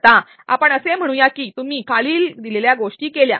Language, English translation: Marathi, Now, let us say you did the following